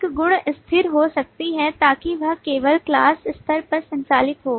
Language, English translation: Hindi, A property could be static so that it operates only at the class level